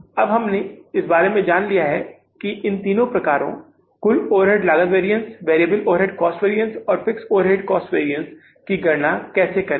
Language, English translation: Hindi, Now we have learned about that how to calculate these three variances, total overhead cost variance, variable overhead cost variance and the fixed overhead cost variance